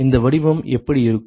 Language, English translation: Tamil, What does this form look like